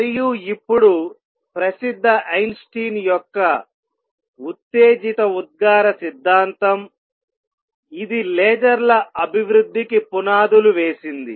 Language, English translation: Telugu, And is now famous Einstein’s theory of stimulated emission this also laid foundations for development of lasers